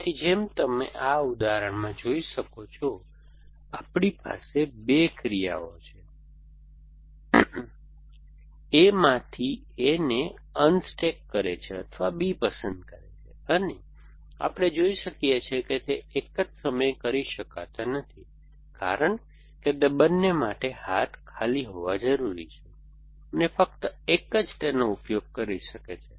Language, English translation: Gujarati, So, as you can see in this example, we have 2 actions unstacks A from A or pick up B and, we can see that they cannot be done in the same time because they both required the arm to be empty and only one can use the arm essentially